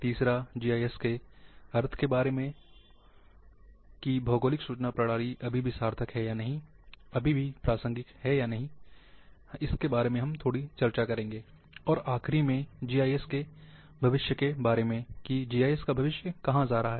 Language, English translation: Hindi, Third one is about meaning of GIS that is Geographic Information Systems is still is meaningful or not, still relevant or not, that we will discuss little bit